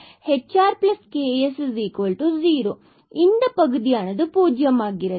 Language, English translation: Tamil, So, we have the 0